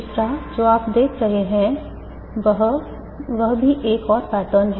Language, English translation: Hindi, Third, what you see is also one more pattern